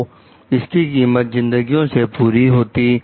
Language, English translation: Hindi, So, it would have costed lives